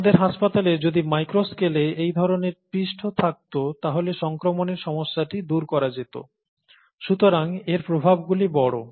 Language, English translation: Bengali, If we can have a similar surface at the micro scale in our hospitals, then the problem of infection is obviated, right